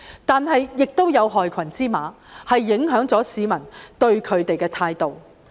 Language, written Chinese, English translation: Cantonese, 但是，亦有害群之馬影響了市民對他們的印象。, Yet there are also black sheep who have undermined their image among the public